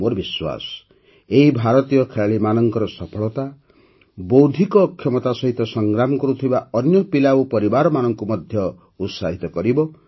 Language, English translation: Odia, I am confident that the success of Indian players in these games will also inspire other children with intellectual disabilities and their families